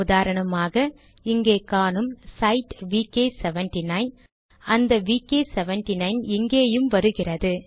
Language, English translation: Tamil, See for example, I have this cite vk 79, that vk79 comes here